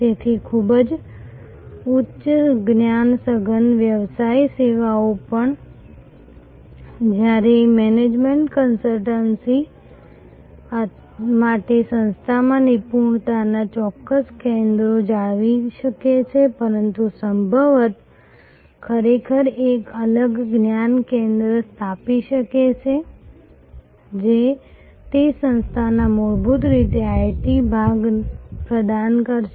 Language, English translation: Gujarati, So, even very high end knowledge intensive business services, while for management consultancy may retain certain centres of expertise within the organization, but quite likely may actually set up a separate knowledge centre which will provide fundamentally the IT part of that organization